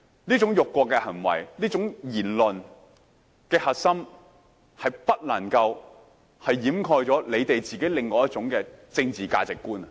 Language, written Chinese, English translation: Cantonese, 這種辱國的行為、這種言論的核心，是不能夠掩蓋你們自己另一種政治價值觀。, Such an insult to the country and the core of such comments cannot conceal your other political ideology